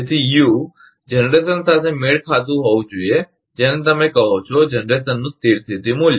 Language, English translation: Gujarati, So, U should match to the generation, what you call the steady state value of the generation